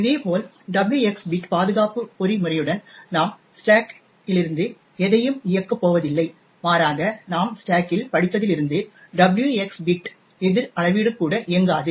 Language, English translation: Tamil, Similarly, with the W xor X bit protection mechanism we are not going to execute anything from the stack but rather since just we read from the stack therefore the W xor X bit countermeasure will also not work